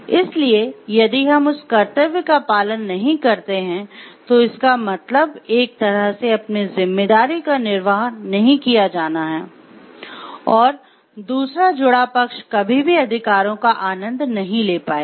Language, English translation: Hindi, So, we will, if that duty is not performed, responsibility is not performed in one way, the other connected party can never enjoy the rights